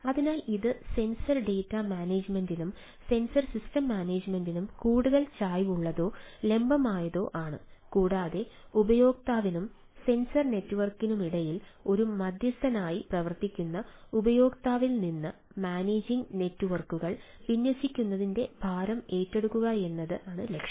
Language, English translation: Malayalam, so this is more inclined or the vertical, towards sensor data management and sensor ah system management and aims at ah to take the burden deploying managing network away from the user, acting as a mediator between the user and the sensor network